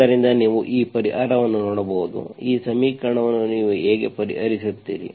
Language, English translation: Kannada, So this solution you can see, how do you solve this equation